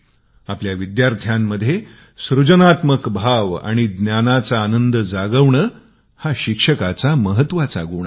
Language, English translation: Marathi, " The most important quality of a teacher, is to awaken in his students, a sense of creativity and the joy of learning